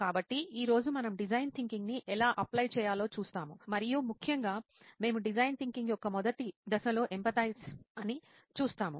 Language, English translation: Telugu, So we today will look at how to apply design thinking and in particular we look at the first stage of design thinking called empathize